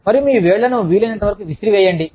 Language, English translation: Telugu, And, throw your fingers out, as much as possible